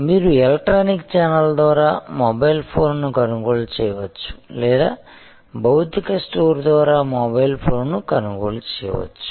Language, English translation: Telugu, You may buy a mobile phone over the electronic channel; you can buy a mobile phone through a physical store